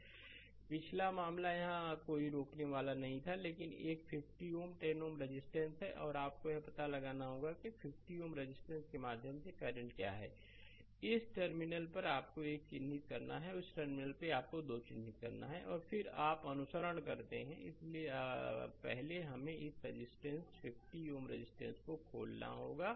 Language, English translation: Hindi, Previous case there was no there was no resistor here, but one 50 ohm 10 ohm resistance is there and you have to find out that what is the current through the 50 ohm resistance say this terminal you mark at 1 and this terminal you mark at 2 right and then, you follow and so, first is we have to open this resistance 50 ohm resistance